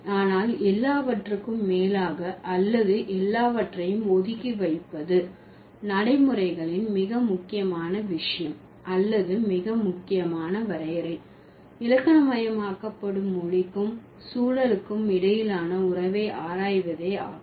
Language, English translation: Tamil, But above everything or keeping everything aside, the most important thing or the most crucial definition of pragmatics would be to study the relation between language and context that are grammaticalized